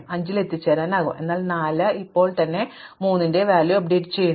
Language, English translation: Malayalam, So, 5 is reachable, but 4 itself now because the value of 3 got updated